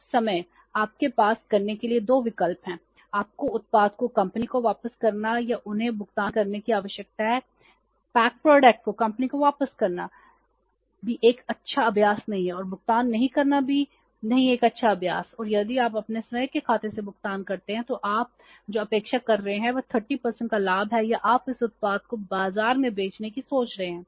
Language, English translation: Hindi, Returning the pack product back to the company is also not a good practice and not making the payment is also not a good practice and if you make the payment from your own account then what you are expecting is a profit of 30% or you are thinking of selling this product in the market